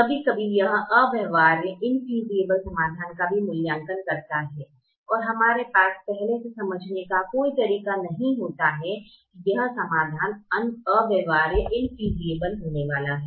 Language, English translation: Hindi, there are times it evaluates infeasible solutions also and we do not have a way to understand a priory that this solution is going to be infeasible